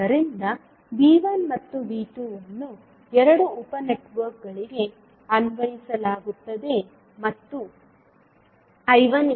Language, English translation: Kannada, So that means that V 1 and V 2 is applied to both of the sub networks and I 1 is nothing but I 1a plus I 1b